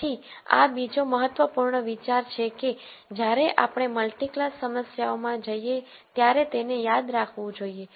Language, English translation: Gujarati, So, this is another important idea that, that one should remember when we go to multi class problems